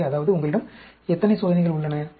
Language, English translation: Tamil, So, that means, you have, how many experiments